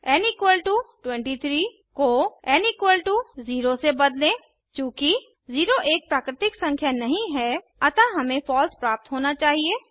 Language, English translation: Hindi, Change n = 23 to n = 0 Since 0 is not a natural number, we must get a false